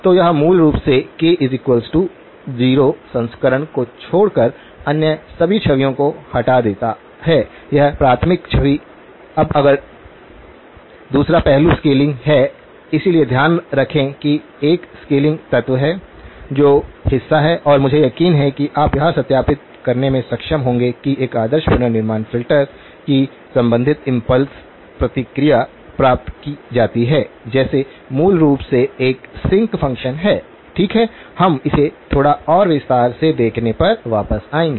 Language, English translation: Hindi, So, it basically removes all other images except the k equal to 0 version of the; or the primary image, now the other aspect is the scaling, so keep in mind that there is a scaling element which is part and I sure you would have been able to verify that the corresponding impulse response of an ideal reconstruction filter is obtained like, is basically a sinc function, okay we will come back to looking at it in a little bit more detail